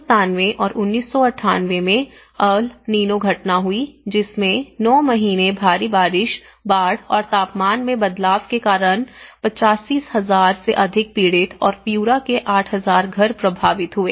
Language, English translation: Hindi, So, again in 1997 and 1998, there is El Nino phenomenon which about 9 months with heavy rain, floods and changes in temperature that has resulted more than 85,000 victims and Piura and 8,000 homes were affected